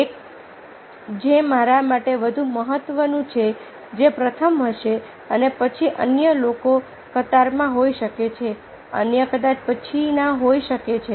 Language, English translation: Gujarati, the one which is more important for me, that will be first, and then others might be in the queue, others might be the next